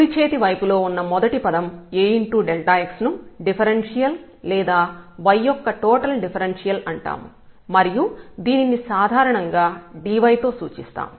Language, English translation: Telugu, So, this first term on the right hand side A times delta x, this is called differential or the total differential of y and this is usually denoted by the notation dy